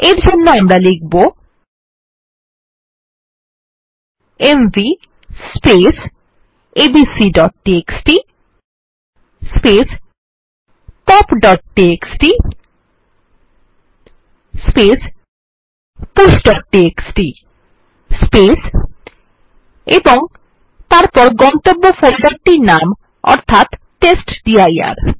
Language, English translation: Bengali, What we need to do is type mv abc.txt pop.txt push.txt and then the name of the destination folder which is testdir and press enter